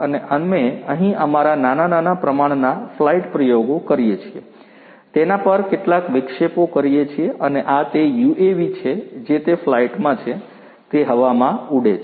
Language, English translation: Gujarati, And we do some of our experiments over here small scale low flight experiments we perform, and this is this UAV it is in flight, it is flying in the air